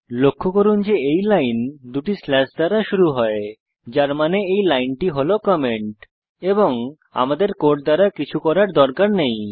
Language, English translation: Bengali, Notice that this line begins with two slashes which means this line is the comment and has nothing to do with our code